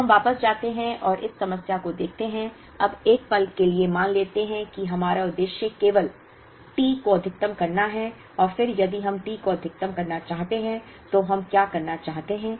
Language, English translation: Hindi, So, we go back and look at this problem, now let us assume for a moment that our objective is only to maximize T and then if we want to maximize T further what do we want to do